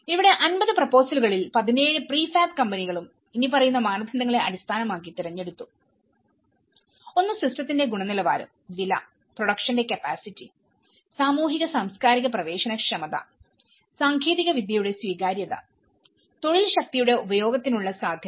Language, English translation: Malayalam, And, this is where about 17 prefab out of 50 proposals 17 prefab companies were selected based on the following criteria, one is the quality of the system, the price, the production of the capacity, socio cultural accessibility, acceptability of the technology and scope for the use of labour force